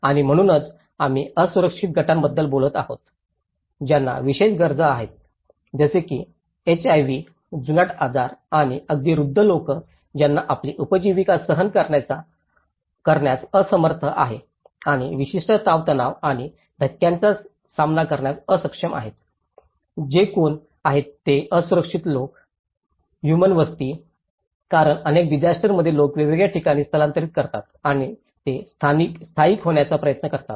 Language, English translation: Marathi, And that is where we are talking about the vulnerable groups, who have special needs such as HIV, chronic diseases or even the elderly people who are unable to cope up with their livelihoods and unable to cope up with certain stresses and shocks, so who are these vulnerable people, human settlements because many at the cases like in the disasters people migrate to different places and they try to settle down